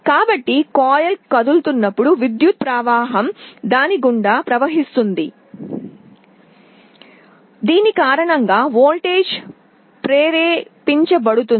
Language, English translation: Telugu, So, as the coil moves an electric current will be flowing through it, because of which a voltage will get induced